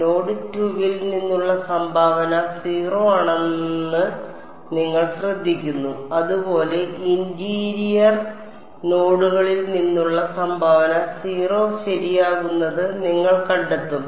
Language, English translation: Malayalam, You notice that the contribution from node 2 was 0 so; similarly you will find that the contribution from interior nodes becomes 0 ok